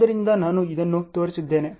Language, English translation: Kannada, So, I have shown this